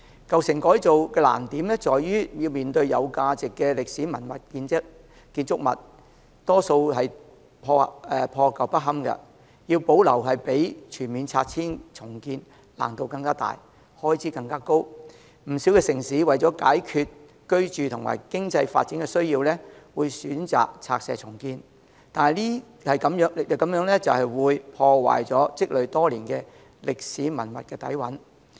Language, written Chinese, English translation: Cantonese, 舊城改造的難處在於具價值的歷史建築物大多數破舊不堪，要保留比全面拆除重建的難度更大，開支更高，不少城市為解決居住和經濟發展的需要，會選擇拆卸重建，但這樣會破壞積累多年的歷史文化底蘊。, It is much more difficult and expensive to preserve them than to pull them down . Many cities would rather opt for demolition and redevelopment to address their housing and economic development needs . But this will ruin the years of history and culture of a place